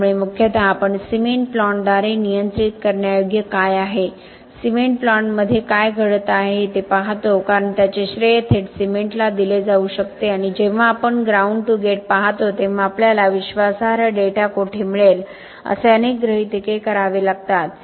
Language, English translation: Marathi, So mostly we look at what is controllable by the cement plant, what is occurring within the cement plant because that can be attributed directly to the cement and also where we will get reliable data when we look at ground to gate lot of assumption have to made on where the fuel is come from, how it came to the plant and so on